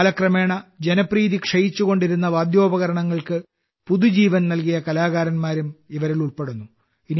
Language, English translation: Malayalam, These also include artists who have breathed new life into those instruments, whose popularity was decreasing with time